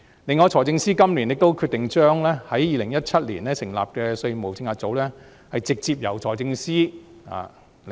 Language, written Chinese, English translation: Cantonese, 此外，財政司司長今年決定將在2017年成立的稅務政策組直接由他領導。, Furthermore the Financial Secretary decided that the Tax Policy Unit which was set up in 2017 would be headed by himself